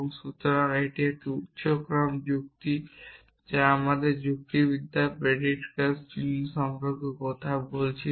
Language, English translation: Bengali, So that is the higher order logic which is we are not talking about in our logic predicate symbols will be fixed essentially